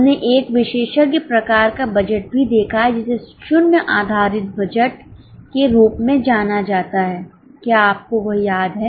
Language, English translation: Hindi, We have also seen a specialized type of budget known as zero based budget